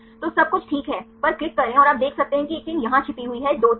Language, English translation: Hindi, So, on click on everything right and you can see one chain is hide here 2 chains